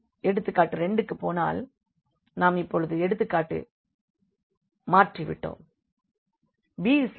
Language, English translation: Tamil, So, now going to the example number 2, we have changed the example now